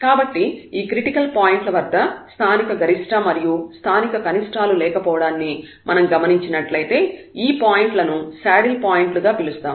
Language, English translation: Telugu, So, at these critical points we will identify if there is no local maximum and minimum that point will be called as the saddle point